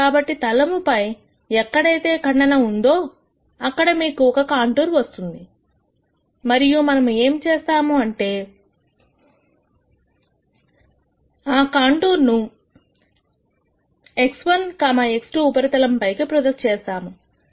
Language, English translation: Telugu, So, on the plane wherever the surface is cut you are going to have a contour and what we are going to do is we are going to project that contour onto this x 1, x 2 surface